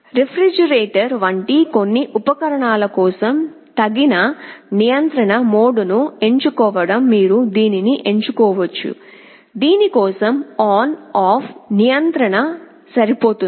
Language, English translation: Telugu, You may choose to select the appropriate mode of control for some appliances like the refrigerator, for which on off control is good enough